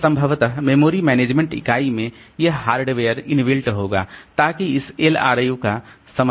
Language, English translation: Hindi, So possibly the memory management unit it will have the corresponding hardware built in it so that this LRU can be supported